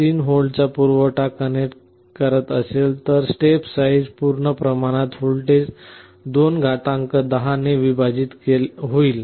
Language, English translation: Marathi, 3 volt supply to the reference voltage, then the step size will be full scale voltage divided by (210 – 1)